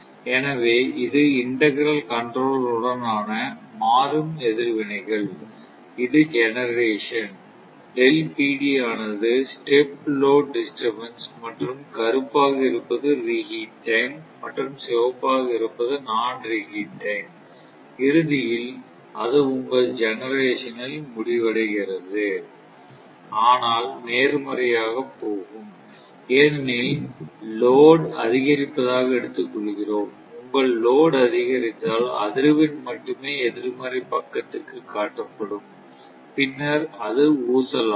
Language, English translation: Tamil, So, this is dynamic responses with integral controller, there generation, this is delta PD is the step load disturbance and black one is the non reheat time and red one is the reheat time, ultimately it is settling to your generation, but this will go to positive because if if it of course, this is taken as a load increase, your load increase as only frequency show into the negative side, right